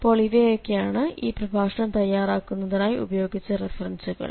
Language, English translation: Malayalam, So here we have the references, which are used for preparing the lecture